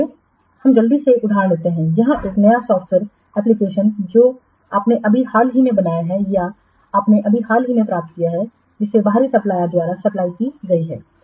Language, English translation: Hindi, Let's quickly take another example where a new software application you have just recently built or you have just recently you have obtained it which was supplied by outside supplier